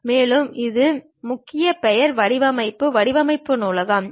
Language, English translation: Tamil, And there is one more keyword name design library